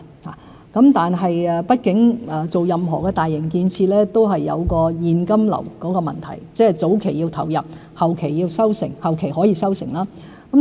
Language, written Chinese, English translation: Cantonese, 不過，畢竟發展任何大型建設都涉及現金流問題，即是早期要投入，後期則可以收成。, However all major infrastructure projects are bound to have cash flow problems . That is to say we need to sow early reap later